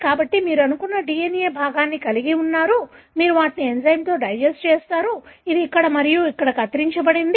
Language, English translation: Telugu, So, you have a DNA fragment, you have digested them with enzyme which cuts here and here